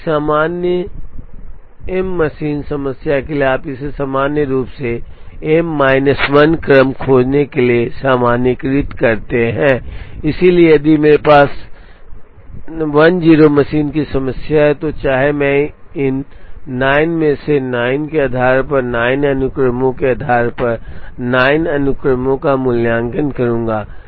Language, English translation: Hindi, So, for a general m machine problem you generalize it to find m minus 1 sequences, so if I have 10 machine problem, irrespective of the number of jobs I will evaluate 9 sequences, based on these 9